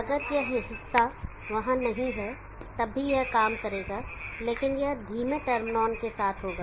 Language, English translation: Hindi, If this portion is not there even then it will work, but it will be with slower turn on